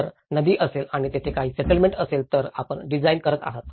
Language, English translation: Marathi, If there is a river and there is a settlement you are designing